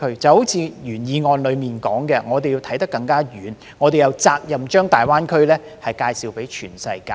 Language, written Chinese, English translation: Cantonese, 正如原議案所說，我們要看得更遠，我們有責任將大灣區介紹給全世界。, As the original motion suggests we should look farther ahead and it is our responsibility to introduce GBA to the world